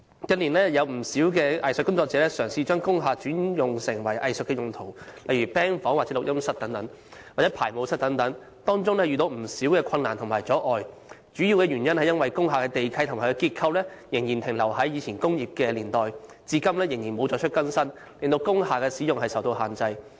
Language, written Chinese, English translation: Cantonese, 近年有不少藝術工作者嘗試把工廈轉成藝術用途，例如 "band 房"、錄音室、排舞室等，當中遇到不少困難及阻礙，主要是因為工廈地契及其結構仍然停留在過往工業年代，至今仍未作出更新，令工廈使用受到限制。, In recent years many arts practitioners tried to convert industrial buildings into arts usage such as band rooms audio studios dance studios and so on . But they faced a lot of difficulties and hurdles mainly due to the fact that the title deeds as well as the structures of industrial buildings were still staying in the industrial era and nothing had been updated up till now . As a result the usages of industrial buildings were under many restrictions